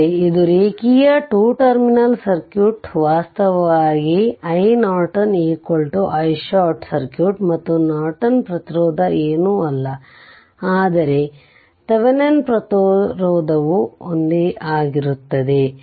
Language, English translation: Kannada, That means, this is a linear 2 terminal circuit right this is a linear this is your i Norton actually i Norton is equal to i short circuit right and Norton resistance is nothing, but a Thevenin resistance is same right